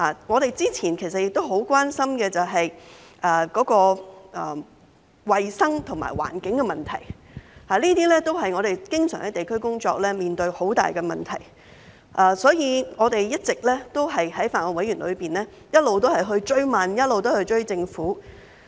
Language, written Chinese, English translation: Cantonese, 我們早前就很關心衞生和環境的問題，這些都是我們在地區工作上經常面對很大的問題，所以我們在法案委員會不斷追問，一直在追政府。, Some time ago we had been very concerned about health and environmental issues which are the major problems we often face in our work at the district level and that is why we have been pressing the Government for answers to these issues at the Bills Committee